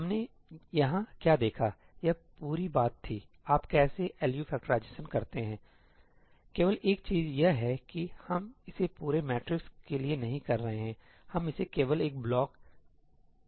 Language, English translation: Hindi, What we saw over here; this entire thing was how you do the LU factorization, right; the only thing is that we are not doing it for an entire matrix, we are just doing it for a block